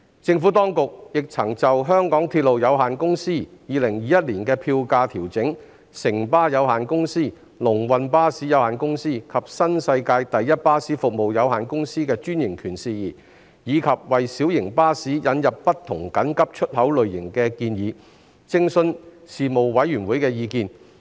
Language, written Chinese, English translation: Cantonese, 政府當局亦曾就香港鐵路有限公司2021年票價調整；城巴有限公司、龍運巴士有限公司及新世界第一巴士服務有限公司的專營權事宜；及為小型巴士引入不同緊急出口類型的建議，徵詢事務委員會的意見。, The Administration also consulted the Panel on the fare adjustment for 2021 by the MTR Corporation Limited the franchises of Citybus Limited Long Win Bus Company Limited and New World First Bus Services Limited and the proposed introduction of alternative means of emergency exit for light buses